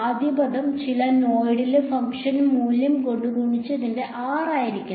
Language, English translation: Malayalam, First term should be the r of x i exactly the value of the function at some node multiplied by